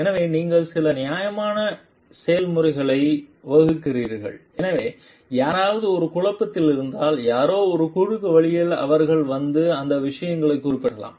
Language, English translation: Tamil, So, that you formulate some standard processes, so if somebody s in a dilemma somebody s in a crossroad they can come and refer to those things